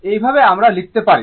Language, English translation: Bengali, This way you can write